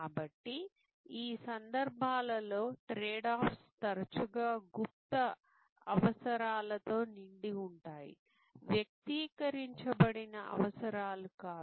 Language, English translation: Telugu, So, in these cases the trade offs are often laden with latent needs, not articulated needs